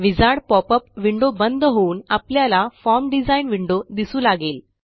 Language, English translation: Marathi, Notice that the wizard popup window is gone and we are looking at the form design window